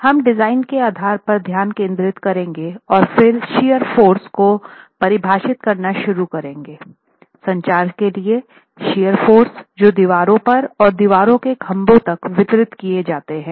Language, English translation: Hindi, We will focus on the basis for design and then start defining the shear forces for the structure, the shear forces that are then distributed to the walls and from the walls to the piers